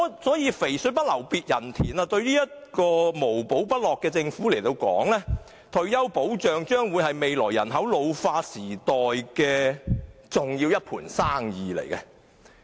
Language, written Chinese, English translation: Cantonese, 所謂"肥水不流別人田"。對於這個無寶不落的政府而言，退休保障是未來人口老化時的一盤大生意。, To this Government which always has its eyes on treasures retirement protection will turn into a big business amidst an ageing population in the future